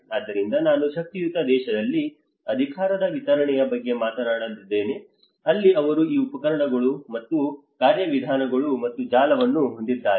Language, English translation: Kannada, So that is where I talked about the distribution of power you know distribution of in the powerful country that is where they have these instruments and mechanisms and the network